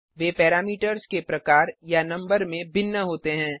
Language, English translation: Hindi, They must differ in number or types of parameters